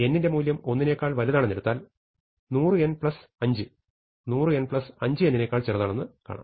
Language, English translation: Malayalam, So, we can say 100 n plus 5 is smaller than equal to 100 n plus n